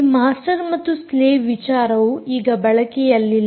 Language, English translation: Kannada, this concept of master slave is now out